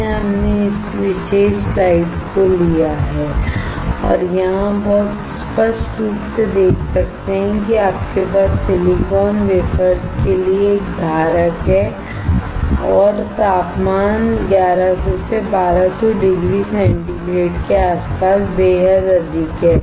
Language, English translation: Hindi, So, that is why we have taken this particular slide and here you can see very clearly that you have a holder for the silicon wafers and the temperature is extremely high around 1100 to 1200 degree centigrade